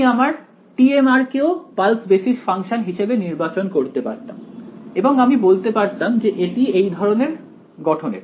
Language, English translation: Bengali, I could have chosen t m of r also to be the pulse basis function I can say this is also of this form